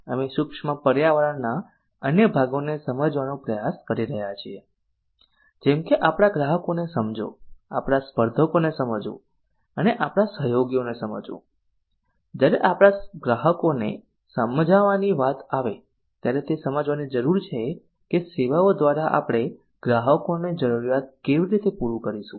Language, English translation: Gujarati, we are trying to understand the other parts of micro environment namely understanding our customers understanding our competitors and understanding our collaborators so understanding our customers while understanding our customers we have to understand customer needs so what functional needs does the service fulfil